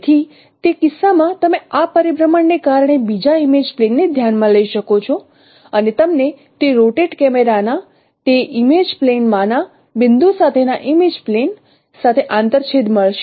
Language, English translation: Gujarati, So in that case you can consider another image plane due to this rotation and you will get an intersection with that image plane with a point x prime in that image plane of that rotated camera